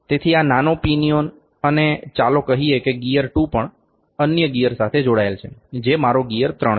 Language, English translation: Gujarati, So, this small pinion or the lets say the gear 2 is also connected to another gear, which is my gear 3